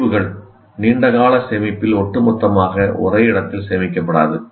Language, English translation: Tamil, As we already said, long term storage, they will not be stored as a whole in one place